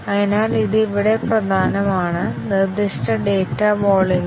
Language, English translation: Malayalam, So, this is important here; specified data volumes